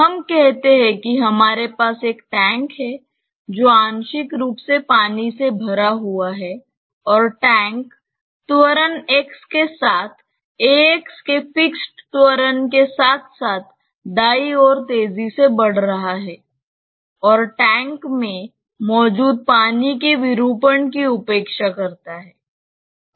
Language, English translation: Hindi, Let us say that we have a tank, partly filled up with water and the tank is accelerating towards the right with an acceleration of a x along x fixed acceleration and neglect the deformation of the water that is there in the tank